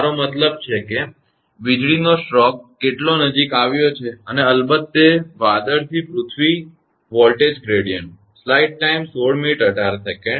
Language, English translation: Gujarati, I mean how close that lightning stroke has happened and of course, that cloud to earth voltage gradient